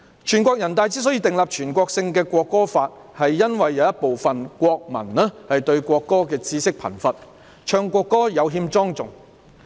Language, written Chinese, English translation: Cantonese, 全國人大常委會之所以訂立全國性的《國歌法》，是因為有部分國民對國歌的知識貧乏，唱國歌時有欠莊重。, NPCSC formulated the National Anthem Law because some nationals had little knowledge of the national anthem and were not solemn enough when singing the national anthem